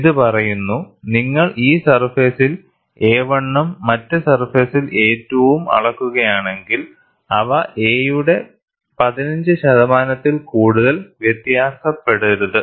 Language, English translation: Malayalam, It says, if you measure a 1 on this surface and a 2 on the other surface, they should not differ more than 15 percent of a; and a 1 minus a 2 should not exceed 10 percent of a